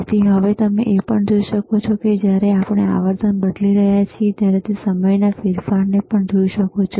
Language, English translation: Gujarati, So, you can also see that when we are changing frequency, you will also be able to see the change in time